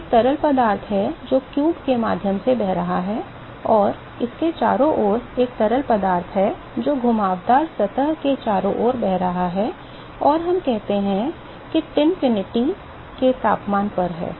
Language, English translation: Hindi, So, this is there is the fluid which is flowing through the cube, and there is another fluid which is flowing around this around the curved surface and let us say that this at a temperature Tinfinity